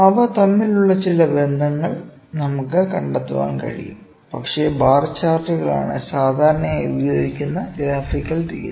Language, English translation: Malayalam, I can just think of the some correlation between them, but bar charts is the very commonly used graphical representation